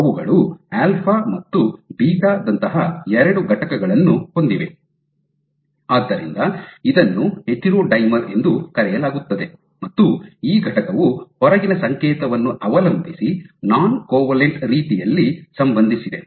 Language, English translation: Kannada, So, they have 2 unit is alpha and beta, then hence called the heterodimer, and these unit is associate in a non covalent manner depending on the outside signal